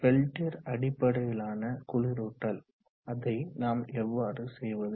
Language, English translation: Tamil, Peltier based cooling, how do we do it